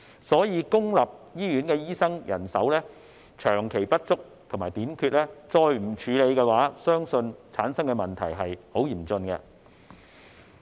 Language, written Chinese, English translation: Cantonese, 所以，若再不處理公營醫院醫生人手長期不足和短缺的問題，相信會產生十分嚴峻的問題。, Hence I believe that serious problems will arise if the chronic shortage of doctors in public hospitals is left unaddressed